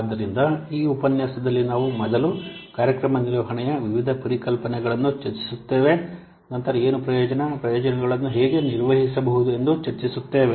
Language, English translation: Kannada, So in this lecture we will discuss first the various concepts of program management, then what is benefit, how benefits can be managed